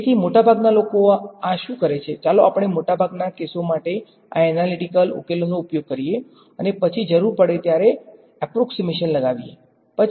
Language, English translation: Gujarati, So for the most part what people do this, let us use these analytical solutions for most cases and make approximations were required to get back